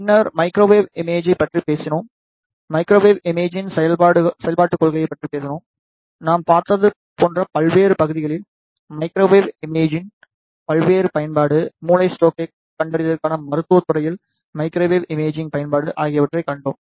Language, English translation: Tamil, After, that we talked about the microwave imaging we talked about the principle of operation of microwave imaging; then we saw the various application of microwave imaging in various areas like we saw, the application of microwave imaging in medical field, for brain stroke detection